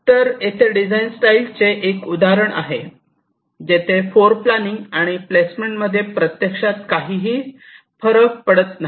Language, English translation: Marathi, ok, so here there is one design style example where floorplanning and placement does not make any difference, actually, right